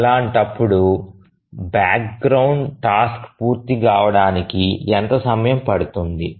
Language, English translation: Telugu, So, in that case, how long will the background task take to complete